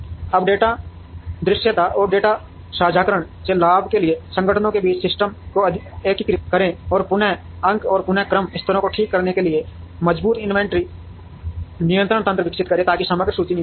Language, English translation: Hindi, Now, integrate systems between organizations to benefit from data visibility, and data sharing, and develop robust inventory control mechanisms to fix reorder points and reorder levels, so that the overall inventory comes down